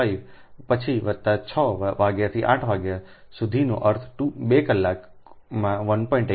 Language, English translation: Gujarati, plus five am to six am, that will one hour